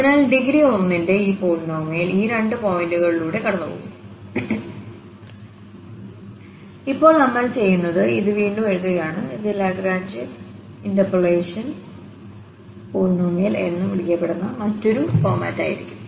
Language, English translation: Malayalam, So, having this polynomial of degree 1 which passes through these two points and now what we are doing we are just rewriting this and that will be another format which is called the Lagrange interpolating polynomial